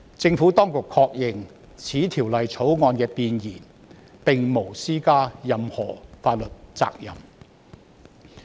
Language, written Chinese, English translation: Cantonese, 政府當局確認，《條例草案》弁言並無施加任何法律責任。, The Administration has confirmed that the Preamble of the Bill does not impose any legal liability